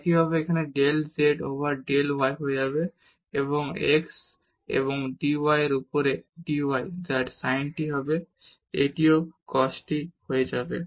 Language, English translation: Bengali, Similarly, here del z over del y will become x and dy over dt which is sin t it will become cos t